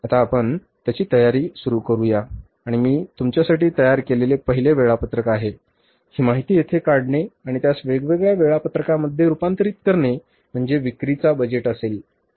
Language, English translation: Marathi, So now let's start preparing it and first schedule that I will prepare for you is here is drawing this information and converting that into the different budget schedules will be the sales budget